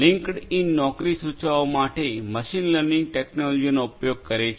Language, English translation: Gujarati, LinkedIn uses machine learning technology for suggesting jobs